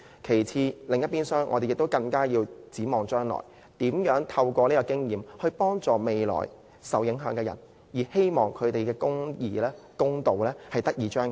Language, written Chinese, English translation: Cantonese, 與此同時，我們亦要展望將來，如何透過這次經驗幫助未來受影響的人，希望公義得以彰顯。, At the same time we must look to the future and learn from this experience how we can help those who will be affected in the hope that social justice is realized